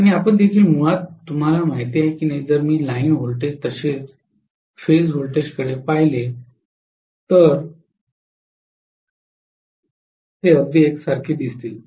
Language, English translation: Marathi, And you are also going to have basically you know if I look at line voltages as well as phase voltages they will look exactly the same